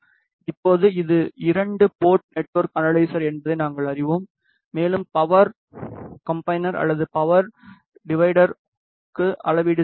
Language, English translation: Tamil, Now, we know this is a two port network analyzer and we are doing measurement for power combiner or power divider